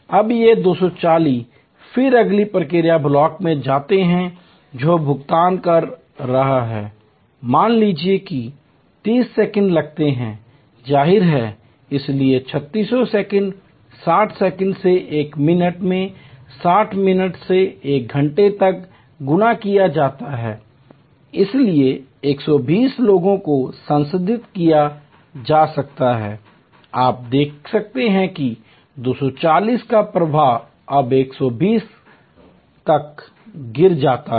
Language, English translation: Hindi, Now, these 240 people then go to the next process block which is making payment, suppose that takes 30 second; obviously, therefore, 3600 seconds 60 seconds to a minute multiplied by 60 minutes to an hour, so 120 people can be processed, you can see that a flow of 240 now drop to 120